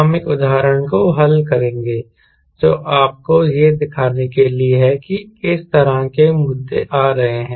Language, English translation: Hindi, we will solve an example which is just to show you what sort of issues are coming